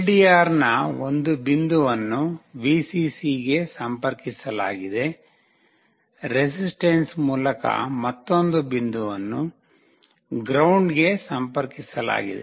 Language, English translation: Kannada, One point of the LDR is connected to Vcc, another point through a resistance is connected to ground